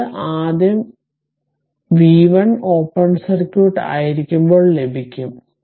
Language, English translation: Malayalam, So, this is first you obtain that v 1 right when it is open circuit